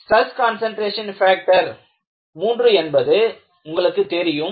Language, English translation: Tamil, So, you all know stress concentration factor is 3